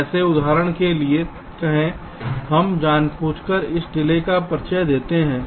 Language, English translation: Hindi, how, like say, for example, we deliberately introduce a delay out here